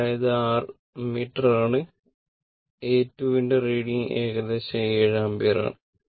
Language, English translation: Malayalam, So, this is your ammeter your what you call reading of the ammeter A 2